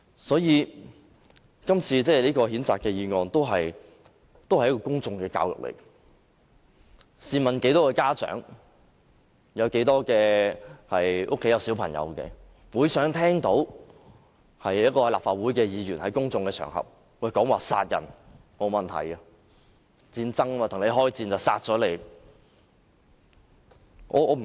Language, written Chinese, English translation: Cantonese, 所以，今次的譴責議案也是一種公眾教育，試問有多少家長會想聽到立法會議員在公眾場合說殺人無問題，因為戰爭，與人開戰便要殺人？, So this censure motion is also a form of public education . How often would parents hear a Legislative Council Member say in public that it is fine to kill in a war? . Must we kill people because of war?